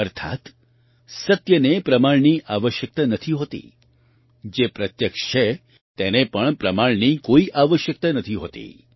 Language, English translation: Gujarati, That is, truth does not require proof, what is evident also does not require proof